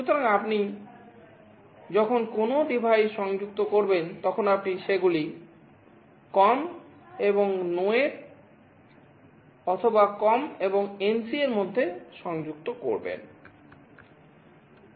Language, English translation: Bengali, So, when you connect any device you either connect them between the COM and NO, or between COM and NC